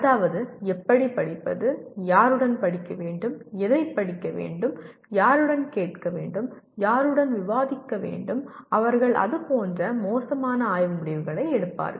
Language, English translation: Tamil, That means how to study, with whom to study, what to study, whom to ask, with whom to discuss, they make poor study decisions like that